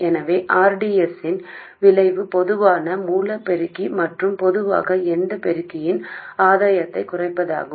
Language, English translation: Tamil, So the effect of rDS is to reduce the gain of the common source amplifier and in general any amplifier